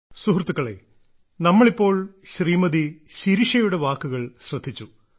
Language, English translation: Malayalam, Friends, just now we heard Shirisha ji